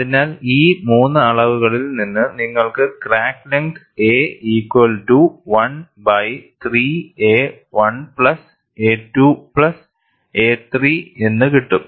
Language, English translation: Malayalam, So, from these 3 measurements, you get the crack length as a equal to 1 by 3 a 1 plus a 2 plus a 3